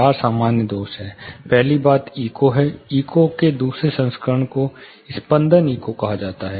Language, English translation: Hindi, Four commonly met defects are; first thing is echo, next another version of echo called flutter echo